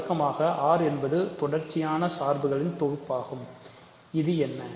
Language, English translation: Tamil, The usual R is a set of continuous functions, what is this